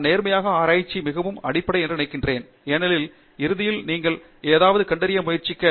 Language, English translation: Tamil, So, I think honesty is very fundamental in research because ultimately you are trying to discover something